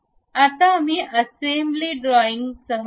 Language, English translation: Marathi, Now, we will go with assembly drawings